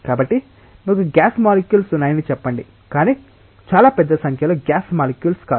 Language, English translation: Telugu, So, let us say that you have gas molecules, but not very large number of gas molecules